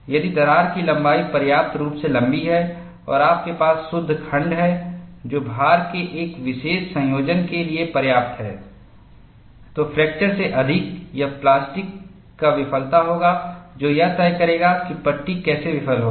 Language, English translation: Hindi, If the crack length is sufficient be long enough, and you have the net section which is small enough, for a particular combination of loads, more than fracture, it would be plastic collapse, that would dictate how the panel will fail